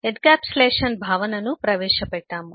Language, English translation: Telugu, we have introduced the notion of encapsulation